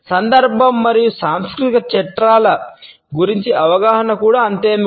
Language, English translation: Telugu, Awareness about context and cultural frameworks is equally important